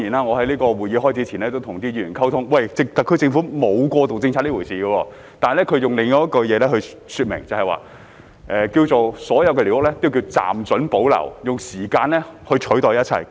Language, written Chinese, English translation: Cantonese, 我在會議開始前與議員溝通，表示特區政府沒有過渡政策這回事，而是說所有寮屋均暫准保留，用時間取代一切。, During the exchange with Members before the meeting I told them that the SAR Government has no such thing as interim policies; instead all squatter structures are tolerated to remain on a temporary basis trading off everything for time